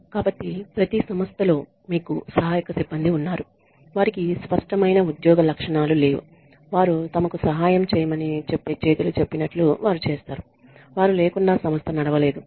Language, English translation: Telugu, So, you have the support staff in every organization that do not really have any clear job specifications they do whatever they are told to do their helping hands, without them the organization cannot run